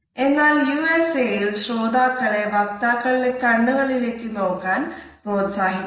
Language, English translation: Malayalam, On the other hand in the USA listeners are encouraged to have a direct eye contact and to gaze into the speakers eyes